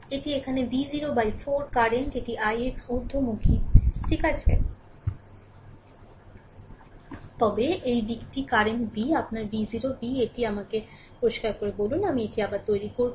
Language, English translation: Bengali, It is V 0 by 4 these are current right here, this i i x is upward is ok, but this direction current is V your V 0 V let me clear it, I make it again